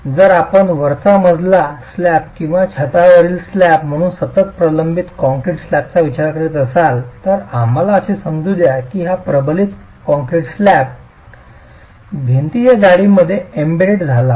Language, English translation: Marathi, If you were to consider a continuous reinforced concrete slab as the floor slab or the roof slab, and let's assume that this reinforced concrete slab is embedded into the wall thickness